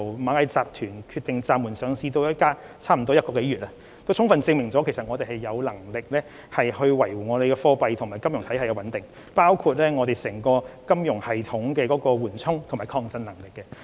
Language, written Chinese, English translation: Cantonese, 螞蟻集團決定暫緩上市至今，已經超過1個月，事件充分證明我們有能力維護貨幣和金融體系的穩定，反映香港金融系統的緩衝和抗震能力。, It has been more than a month since Ant Group decided to suspend its listing . This incident fully proves our capability to safeguard the stability of our monetary and financial systems reflecting the buffers and resilience in the financial system of Hong Kong